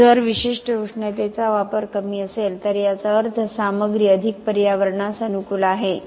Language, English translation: Marathi, So, if the specific heat consumption is lower that means the material is more environmentally friendly